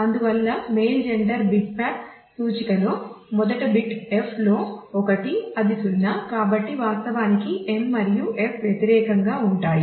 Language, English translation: Telugu, And therefore, in the male gender bitmap index the first bit is 1 in f it is 0; so, actually m and f are complimentary